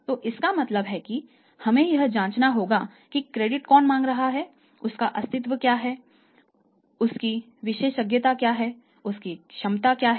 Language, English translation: Hindi, So, it means we have to check who is seeking the credit what is his existence what is his expertise what is his competence